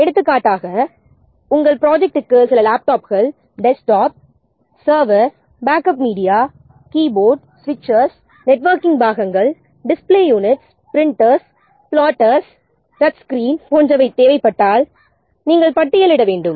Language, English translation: Tamil, For example, we have to list if your project requires some desktops, laptops, servers, backup media, keyboards, which is different networking ports and cables, display units, printers, plotters, touch screens, etc